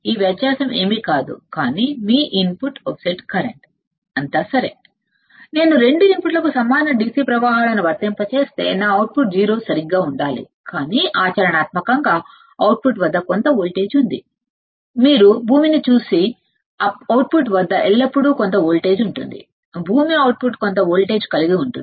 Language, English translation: Telugu, What does it say that if I apply equal DC currents to the 2 inputs my output should be 0 right this is correct, but practically there is some voltage at the output, there is always some voltage at the output you see ground; ground an output will have some voltage